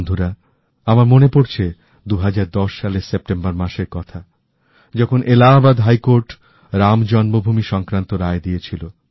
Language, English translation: Bengali, Friends, I remember when the Allahabad High Court gave its verdict on Ram Janmabhoomi in September 2010